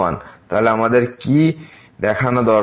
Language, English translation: Bengali, So, what we need to show